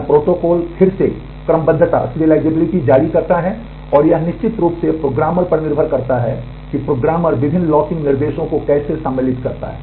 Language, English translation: Hindi, This protocol again issuers serializability and the it certainly depends on the programmer as to how the programmer inserts the various locking instructions